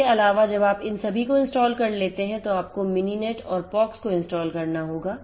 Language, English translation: Hindi, Also after you have installed all of these then you have to install the Mininet and the POX, these 2 software will have to be installed